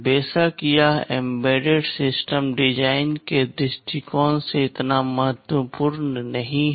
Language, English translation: Hindi, Of course, it is not so much important from the point of view of embedded system design